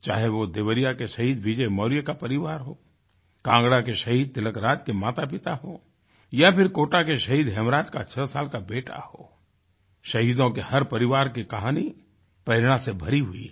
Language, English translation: Hindi, Whether it be the family of Martyr Vijay Maurya of Devariya, the parents of Martyr Tilakraj of Kangra or the six year old son of Martyr Hemraj of Kota the story of every family of martyrs is full of inspiration